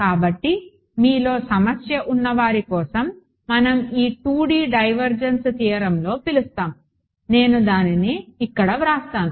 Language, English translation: Telugu, So, for those of you who are having trouble we call in this 2D divergence theorem I will just write it over here